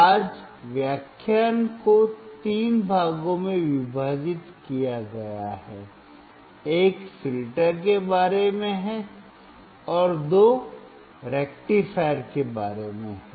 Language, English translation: Hindi, Today’s lecture is divided into 3 parts, one is about the filters, and two about rectifiers